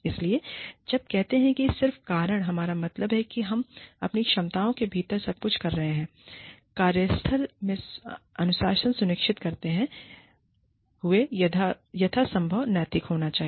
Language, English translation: Hindi, So, in order to, when we say, just cause, we mean that, we are doing everything within our capacities, to be as ethical as possible, while ensuring discipline in the workplace